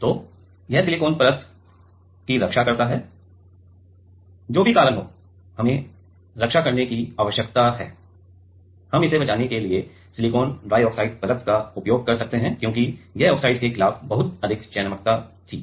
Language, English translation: Hindi, So, this can protect the silicon layer that whichever reason, we need to protect we can use silicon dioxide layer to protect that because, this was the very good selectivity against oxide